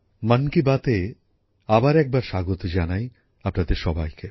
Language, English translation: Bengali, Once again a warm welcome to all of you in 'Mann Ki Baat'